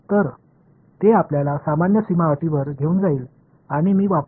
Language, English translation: Marathi, So, that takes us to normal boundary conditions and I will use